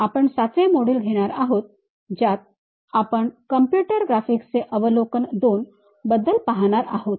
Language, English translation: Marathi, We are covering module 17 and learning about Overview of Computer Graphics II